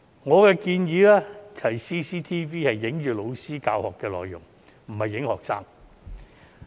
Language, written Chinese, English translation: Cantonese, 我建議安裝 CCTV 只拍攝老師的教學內容，而非拍攝學生。, I suggest CCTV be installed to film only the contents taught by the teachers not the students